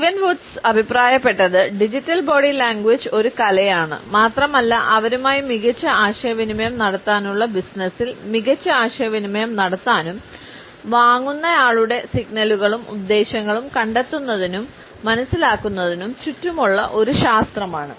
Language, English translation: Malayalam, Steven Woods suggested that digital body language is an art as well as a science which revolves around detecting and understanding prospective buyers signals and intentions to better communicate with them